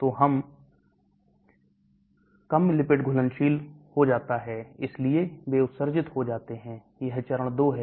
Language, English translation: Hindi, So it becomes less lipid soluble so they get excreted that is phase 2